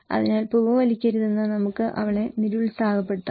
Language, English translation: Malayalam, So, maybe we can discourage her not to smoke